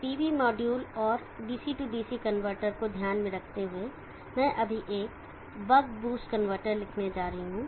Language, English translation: Hindi, Consider the pre module and the DC DC convertor, I am going write right now about convertor